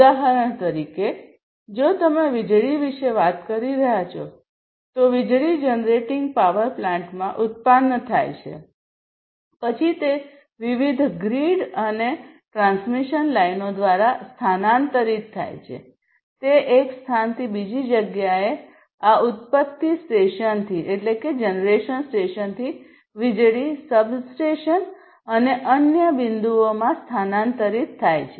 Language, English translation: Gujarati, For instance, if you are talking about electricity; electricity gets generated in the generating power plant, then it is transferred through different grids and transmission lines it is transferred from one location from the generation station to elsewhere to this station to the electricity substations and different other points